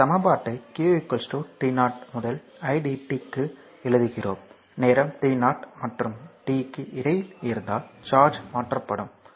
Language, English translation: Tamil, So, that equation we are writing q is equal to t 0 to idt; that means, charge transferred right if between time t 0 and t